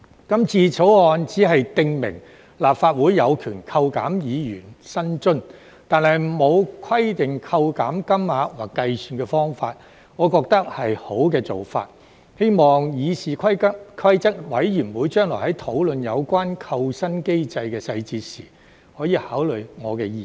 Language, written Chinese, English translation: Cantonese, 今次《條例草案》僅訂明立法會有權扣減議員薪津，但沒有規定扣減金額或計算方法，我覺得是好的做法，希望議事規則委員會將來討論有關扣薪機制的細節時，可以考慮我的意見。, This time the Bill only empowers the Legislative Council to deduct the remuneration of Members without specifying the amount of deduction or the calculation method . I think this is a good approach . Hopefully CRoP will take my views into consideration when discussing the details of the remuneration deduction mechanism in the future